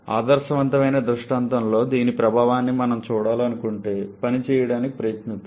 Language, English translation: Telugu, If we want to see the effect of this in ideal scenario let us try to work out